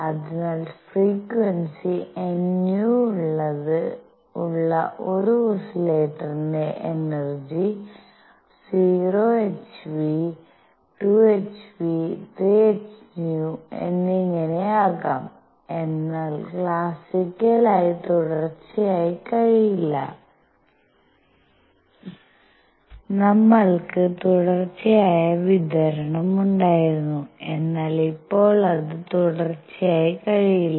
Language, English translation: Malayalam, So, energy of an oscillator with frequency nu can be 0 h nu, 2 h nu, 3 h nu and so on, but cannot be continuous classically we had continuous distribution, but now it cannot be continuous